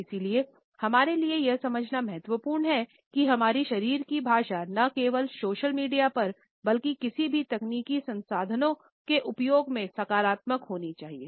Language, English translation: Hindi, And therefore, it is important for us to understand that our body language not only on social media, but in the use of any technological resources should be positive